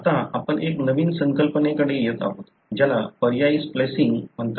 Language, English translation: Marathi, Now, we are coming to a new concept, which is called as alternate splicing